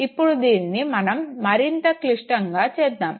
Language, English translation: Telugu, Now let us make this situation a little more complex